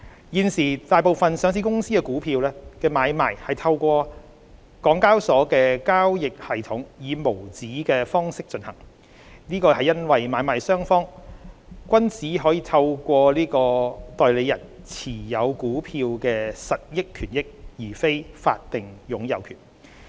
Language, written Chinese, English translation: Cantonese, 現時，大部分上市公司股票的買賣是透過香港交易及結算所有限公司的交易系統以無紙的方式進行，這是因為買賣雙方均只透過代理人持有股票的實益權益而非股票的法定擁有權。, At present most of the trading in stocks of listed companies is executed via the trading system of the Hong Kong Exchanges and Clearing Limited HKEX in paperless form for both the buyers and sellers hold only the beneficial interest in the securities they own through a nominee instead of holding the title to such securities